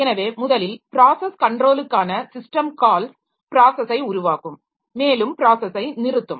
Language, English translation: Tamil, So, to start with the system calls for process control, they will create process and terminate process